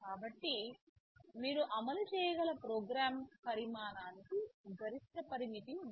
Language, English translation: Telugu, So, there is a maximum limit to the size of the program that you can run